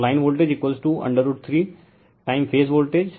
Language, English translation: Hindi, So, line voltage is equal to root 3 time phase voltage